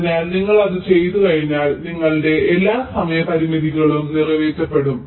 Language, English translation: Malayalam, so once you the do that, then all your timing constrains will be met